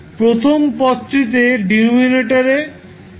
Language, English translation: Bengali, The first term has the denominator s plus p1